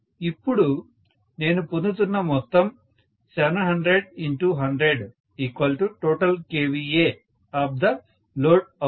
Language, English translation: Telugu, And now the total thing what I am getting is 700 multiplied by 100 is the total kVA of the load